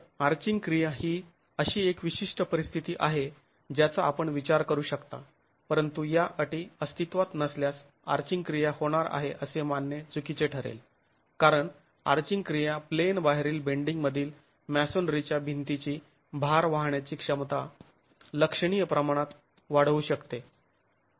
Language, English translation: Marathi, So, arching action is something that you can consider under a given set of conditions but if those conditions do not exist it will be erroneous to assume that arching action is going to occur because arching action can significantly increase the load carrying capacity of a masonry wall in in out of plane bending